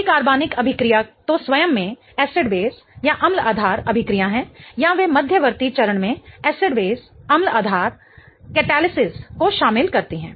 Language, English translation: Hindi, Many organic reactions either are acid based reactions in themselves or they involve an acid based catalysis in the intermediate step